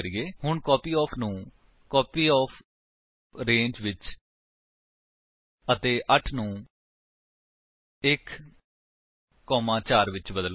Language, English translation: Punjabi, So, change copyOf to copyOfRange and 8 to 1, 4